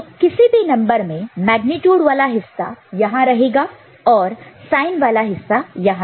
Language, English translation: Hindi, So, any number the magnitude part will be represented here right and the sign part will be represented here